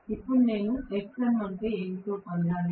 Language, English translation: Telugu, Now, I have to get what is xm